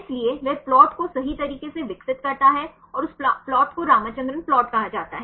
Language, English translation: Hindi, So, he develop the plot right and that plot is called the Ramachandran plot